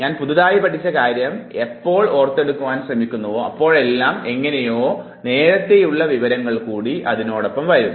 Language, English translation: Malayalam, When I try to recollect the newly learnt information I somehow extract the old information